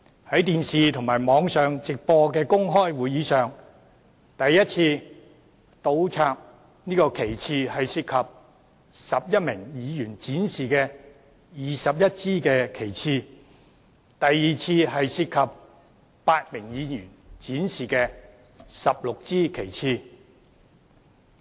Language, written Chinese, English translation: Cantonese, 從電視和網上直播的公開會議片段所見，第一次倒插旗幟涉及11名議員展示的21支旗幟，而第二次則涉及8名議員展示的16支旗幟。, As we can see from the live broadcast on television and online of the open meeting the first round of his act of inverting flags involved 21 flags displayed by 11 Members with the second round involving 16 flags displayed by eight Members